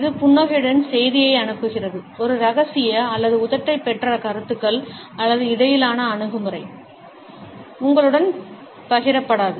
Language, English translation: Tamil, It sends the message with the smiler has a secret or lip held opinions or attitude between (Refer Time: 19:30) will not be shared with you